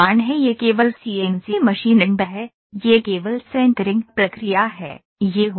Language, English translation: Hindi, This is only CNC machining, this is only sintering process, it is happening